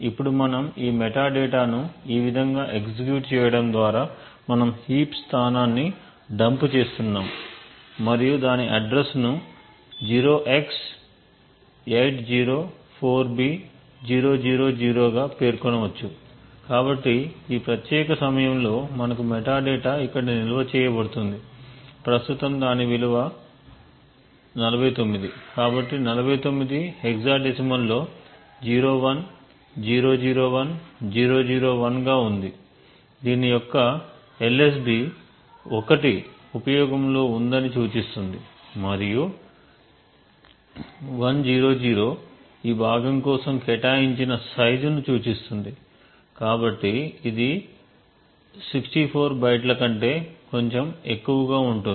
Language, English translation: Telugu, Now we can look at this metadata by executing something like this we are just dumping the heap location and we could specify the address 0x804b000, so in this particular time we have the metadata which will be stored over here currently it has a value of 49, so 49 is in hexadecimal 01001001, the LSB of this is 1 indicating that the previous is in use and 100 would indicate the size that is allocated for this chunk so this would be slightly greater than 64 bytes and this you could actually validate later, okay